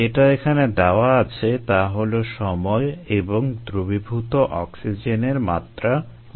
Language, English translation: Bengali, what is given here is time, ah and dissolved oxygen in millivolt